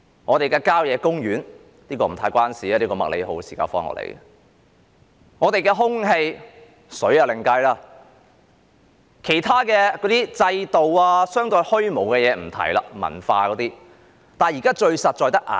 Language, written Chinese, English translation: Cantonese, 我們的郊野公園——這是不太相關的，這是麥理浩時代的——我們的空氣，但水是另計的，以及其他制度等相對虛無的事情也不提了，例如文化等。, I am not going to talk about our country parks―this is not quite relevant as this is something in the MACLEHOSE era―our air but water is not included and other institutions which are relatively abstract such as culture etc